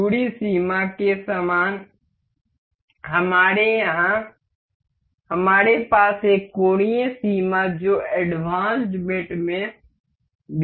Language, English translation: Hindi, Similar to the distance limit, we here we have is angular limit also in the advanced mates